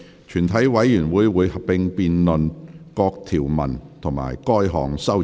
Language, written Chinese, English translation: Cantonese, 全體委員會會合併辯論各項條文及該項修正案。, Committee will conduct a joint debate on the clauses and the amendment